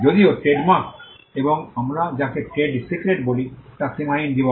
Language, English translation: Bengali, Whereas, trademarks and what we call trade secrets are unlimited life